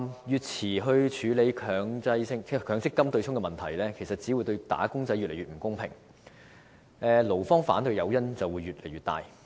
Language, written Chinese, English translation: Cantonese, 越遲處理強制性公積金對沖問題，對"打工仔"只會越來越不公平，勞方反對的誘因也會越來越大。, If the handling of the problem of the Mandatory Provident Fund MPF offsetting mechanism is further delayed it will become increasingly unfair to wage earners while the incentive for employees to raise objection will also become increasingly stronger